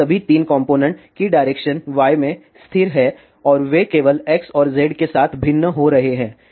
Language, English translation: Hindi, And all of these 3 components are constant along y direction and they vary along X and Z only